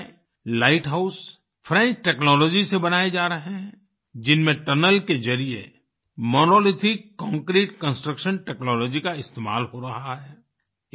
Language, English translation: Hindi, In Rajkot, the Light House is being made with French Technology in which through a tunnel Monolithic Concrete construction technology is being used